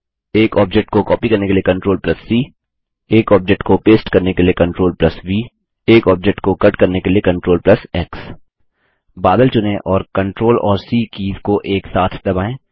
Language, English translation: Hindi, CTRL+C to copy an object CTRL+V to paste an object CTRL+X to cut an object Select the cloud and press the CTRL and C keys together